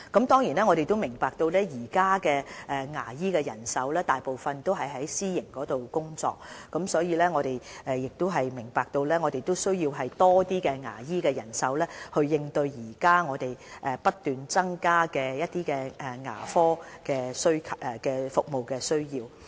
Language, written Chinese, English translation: Cantonese, 當然，我們明白現時牙醫人手大部分是在私營市場工作，而我們亦需要更多牙醫人手以應對現時不斷增加的牙科服務需求。, We certainly understand that most of the dentists in Hong Kong are working in the private market and that we will need more dentists to cope with the increasing demand for dental services